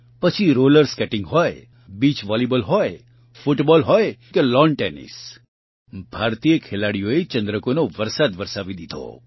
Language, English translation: Gujarati, Be it Roller Skating, Beach Volleyball, Football or Lawn Tennis, Indian players won a flurry of medals